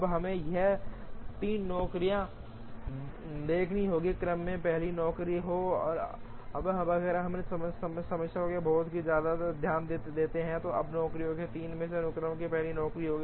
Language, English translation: Hindi, Now, here we have to look at can job 3 be the first job in the sequence, now if we see this problem very carefully, if job 3 is the first job in the sequence